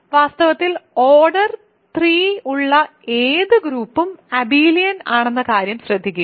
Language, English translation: Malayalam, In fact, note that any group of order 3 is abelian